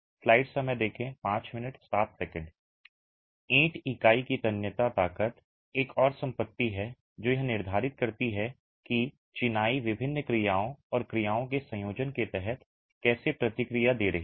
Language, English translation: Hindi, Moving on, tensile strength of the brick unit is another property that determines how the masonry is going to respond under different actions and combination of actions